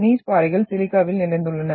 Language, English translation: Tamil, Gneiss rocks are rich in silica